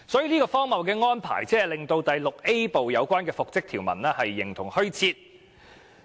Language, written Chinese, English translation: Cantonese, 如此荒謬的安排，令第 VIA 部的復職條文形同虛設。, This absurd arrangement has rendered the reinstatement provision in Part VIA exist in name only